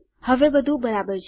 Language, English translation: Gujarati, Now everything is right